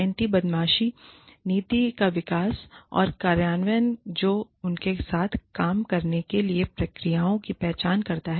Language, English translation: Hindi, Development and implementation of anti bullying policy, that addresses identification of bullies, and lays down procedures, for dealing with them